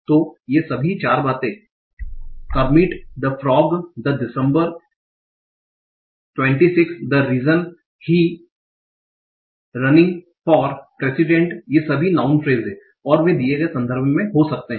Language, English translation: Hindi, So all these four things, Kermit the Frog, Day, December 26th, the reason he is running for president, all these are non phrases, okay, and they can occur in a given context